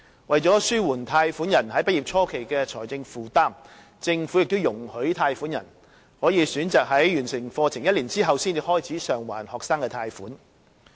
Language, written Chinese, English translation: Cantonese, 為了紓緩貸款人畢業初期的財政負擔，政府亦已容許貸款人可選擇在完成課程1年後才開始償還學生貸款。, To ease the financial burden of fresh graduates who have borrowed student loans the Government has given loan borrowers the option of starting the student loan repayment one year after completing their studies